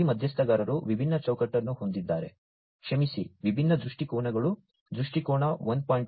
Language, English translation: Kannada, These stakeholders have different framework sorry have different viewpoints, viewpoint 1